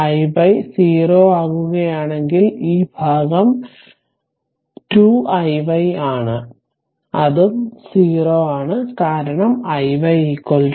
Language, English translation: Malayalam, If i y is become 0, then this part it is 2 i y that is also 0, because i y is equal to 0